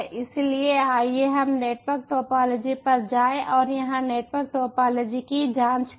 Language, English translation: Hindi, so lets go to the network topology and check it